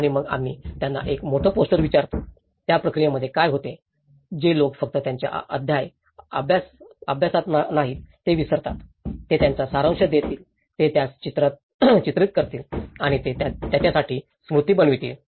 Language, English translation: Marathi, And then we ask them a big poster, in that process, what happens is the people who do not just study their chapter and forget it, they will summarize it, they will portray it and it becomes a memory for them